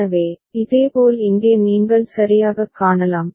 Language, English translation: Tamil, So, similarly over here what you can see ok